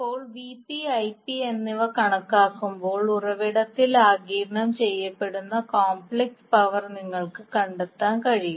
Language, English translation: Malayalam, Now when you have Vp and Ip calculated, you can find out the complex power absorbed at the source